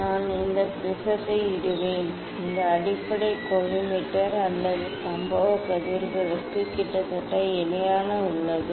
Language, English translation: Tamil, I will put prism like this ok this base is almost parallel to the collimator or incident rays